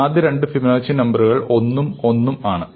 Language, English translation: Malayalam, So, the first two Fibonacci numbers are 1 and 1